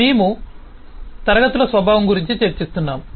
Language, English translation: Telugu, We have been discussing about nature of classes